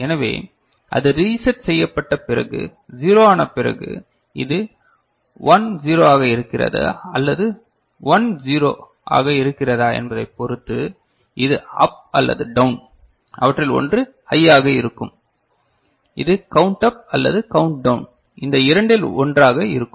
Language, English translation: Tamil, So, it will get reset after that is becomes 0 and after that depending on whether this one is 1 0 or this one is 1 0 depending on that this up or down, one of them will be high and this will be count up or count down one of these two, ok